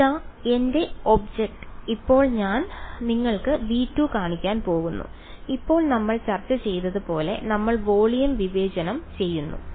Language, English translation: Malayalam, So, here is my object now I am just going to show you v 2 and now as we have discussed we are discretising the volume